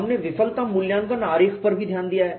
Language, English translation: Hindi, We have also looked at failure assessment diagram